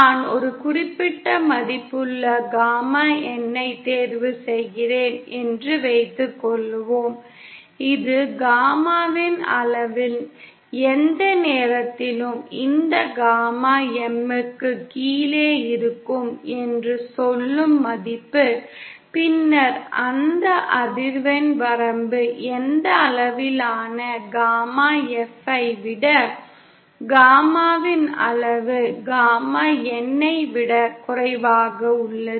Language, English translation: Tamil, Suppose I choose a certain value gamma N and this is the value as say that any time my value of the magnitude of gamma in is below this gamma M, then that frequency range over which magnitude gamma that is for F such that magnitude of gamma in is lesser than gamma N